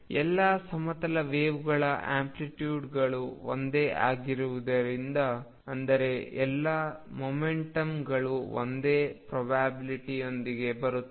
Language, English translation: Kannada, Since the amplitudes of all plane waves are the same; that means, all momentum come with the same probability